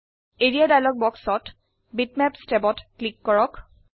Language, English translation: Assamese, In the Area dialog box, click the Bitmaps tab